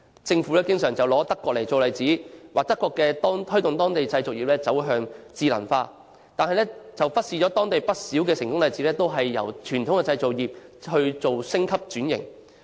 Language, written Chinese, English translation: Cantonese, 政府經常用德國做例子，指出德國推動當地製造業走向智能化，但卻忽視當地不少成功例子都是由傳統製造業升級轉型。, The Government often cites Germany as an example of promoting intelligent production by local manufacturing industries but it has neglected that there are many successful examples of the upgrading and transformation of traditional manufacturing industries